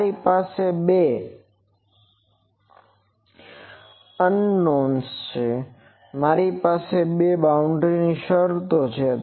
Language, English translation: Gujarati, I have 2 unknowns I have 2 boundary conditions